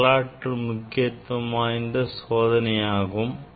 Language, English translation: Tamil, This is historically an important experiment